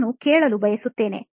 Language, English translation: Kannada, I prefer listening